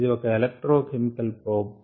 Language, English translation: Telugu, it is an electrochemical probe